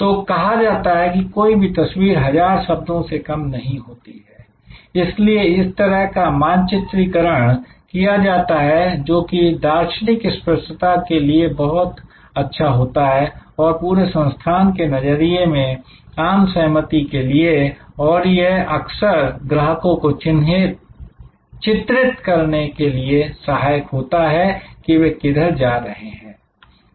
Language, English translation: Hindi, So, as it says it to no one picture is what 1000 words, so this kind of mapping if therefore, very good for visual clarity and consensus of views across the organization and it often helps actually to portray to the customer, where you are